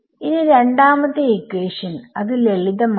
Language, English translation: Malayalam, So, equation 1 it becomes